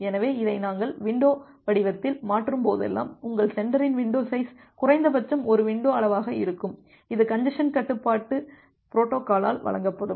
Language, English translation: Tamil, So, whenever we convert this in the window form, your sender window size will be minimum of one window size which will be given by the congestion control protocol